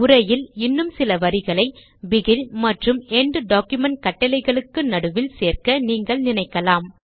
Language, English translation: Tamil, You may wish to add a few more lines of text in between the begin and end document commands